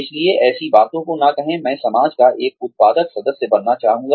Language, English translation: Hindi, So, do not say things like, I would like to be a productive member of society